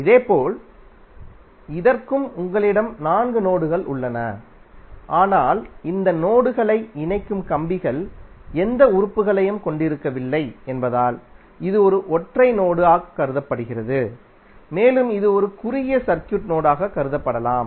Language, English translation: Tamil, Similarly for this also you have four nodes but it is consider as a single node because of the wires which are connecting this nodes are not having any elements and it can be consider as a short circuit node